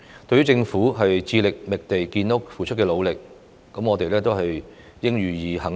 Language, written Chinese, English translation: Cantonese, 對於政府致力覓地建屋所付出的努力，我們應予肯定。, We should give credit to the Governments efforts in identifying land to increase housing supply